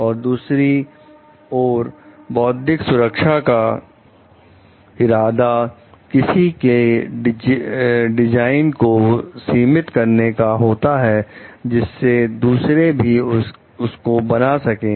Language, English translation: Hindi, And other intellectual protections are intended to limit the use that others can make of ones design